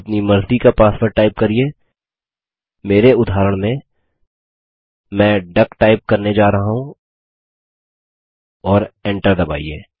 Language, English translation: Hindi, Type the password of your choice, in my case i am going to type duck as the password and press Enter